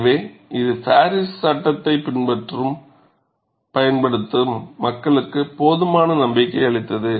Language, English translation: Tamil, So, that provided enough confidence for people to follow and use the Paris law